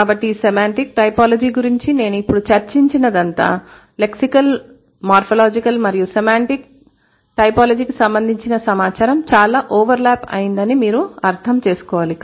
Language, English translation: Telugu, So, whatever I have discussed by now about semantic typology, you should be able to understand that there are a lot of overlapping information related to lexical, morphological and semantic typology